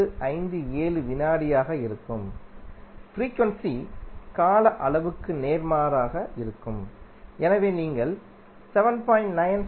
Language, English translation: Tamil, 157 second and frequency will be opposite to the time period that is you will get 7